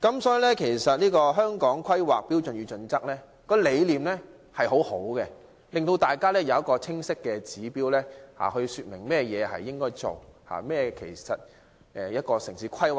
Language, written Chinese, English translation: Cantonese, 所以，《規劃標準》的理念相當好，提供一個清晰的指標，說明甚麼應該做及何謂城市規劃。, In this regard HKPSG contains good ideas and provides clear indicators of what should be done and what town planning is